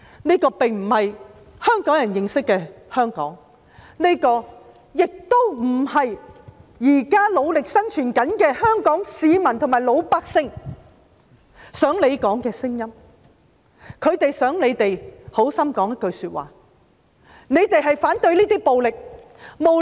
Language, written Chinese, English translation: Cantonese, 這並非香港人認識的香港，這亦不是現時努力生存的香港市民想說的聲音，他們很希望議員說反對暴力。, This is also not the voice of those Hong Kong citizens who are working very hard to survive . They very much hope that Members can say no to violence . No matter how dissatisfied we are with the Government we have to oppose violence